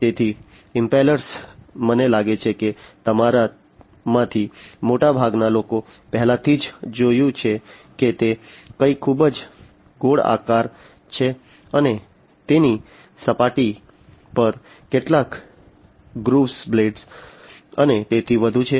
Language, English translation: Gujarati, So, impellers I think most of you have already seen that it is something very circular and has some grooves blades and so on, on its surface